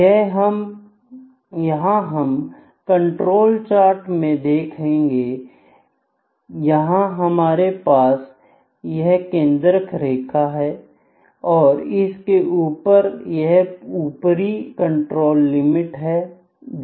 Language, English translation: Hindi, So, we will see that in control chart, we have this central line here with us have this upper control limit here we have the central line, ok